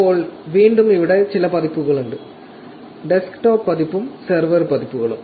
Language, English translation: Malayalam, Now, again there are couples of versions here; desktop version and server versions